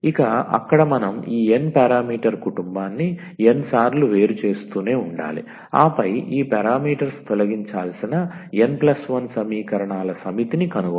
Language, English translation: Telugu, So, there we have to keep on differentiating this n parameter family of course, n times and then found the set of n plus 1 equations we have to eliminate these parameters